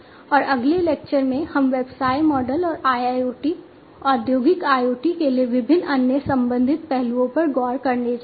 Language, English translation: Hindi, And in the next lecture, we are going to look into the business models and the different other related aspects for IIoT, Industrial IoT